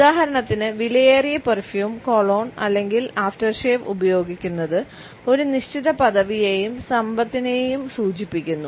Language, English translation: Malayalam, For example, wearing an expensive perfume, cologne or aftershave can signal a certain status and wealth